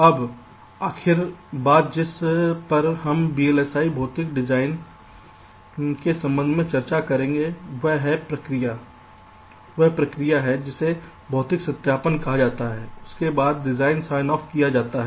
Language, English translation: Hindi, now, the last thing that that we shall be discussing with respect to vlis, physical design, is the process called physical verification